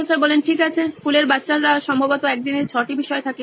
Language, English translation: Bengali, Right, school kid probably has 6 subjects in a day